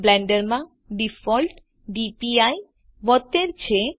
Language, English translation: Gujarati, the default DPI in Blender is 72